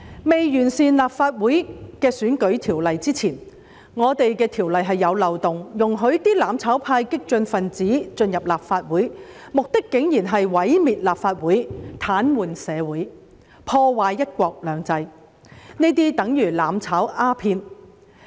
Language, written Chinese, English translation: Cantonese, 在完善立法會選舉制度的條例通過前，我們的條例是有漏洞的，可容許"攬炒"派、激進分子進入立法會，而他們的目的竟然是毀滅立法會、癱瘓社會、破壞"一國兩制"，這些便等於"攬炒"鴉片。, Before the legislation on improving the electoral system of the Legislative Council was passed there were loopholes in our legislation that allowed the mutual destruction camp and the radicals to enter the Legislative Council and their purpose was to destroy the Legislative Council paralyse society and undermine one country two systems which is tantamount to taking mutual destruction opium